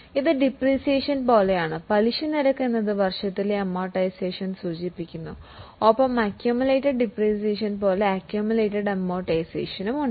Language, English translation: Malayalam, Amortization expense refers to amortization during the year and there is accumulated amortization just like accumulated depreciation